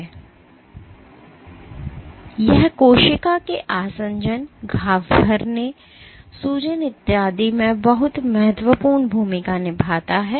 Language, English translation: Hindi, And it plays very important roles in cell adhesion, wound healing, inflammation, so on and so forth